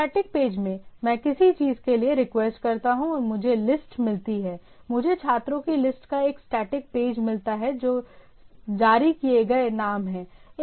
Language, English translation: Hindi, In the static page, say I request for a for something and I get the list of I get a static page of the list of students roll number verses the name released